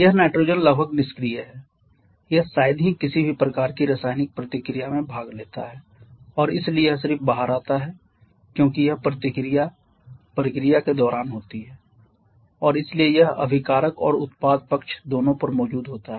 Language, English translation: Hindi, This nitrogen is almost inert it hardly participates in any kind of chemical reaction and therefore it just comes out as it is during the reaction process and hence it present on both the reactant and product side